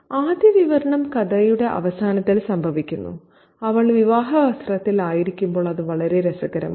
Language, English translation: Malayalam, And the first description happens at the end of the story when she is in her bridal dress